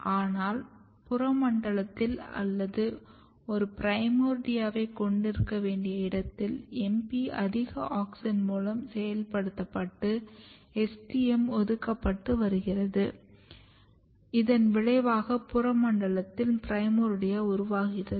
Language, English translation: Tamil, But in the peripheral zone or in the region where you have to have a primordia basically MP is getting activated by high auxin and STM is getting repressed and this results in basically primordia formation in the peripheral zone